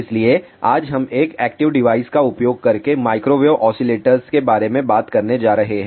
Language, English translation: Hindi, So, today we are going to talk about microwave oscillators using an active device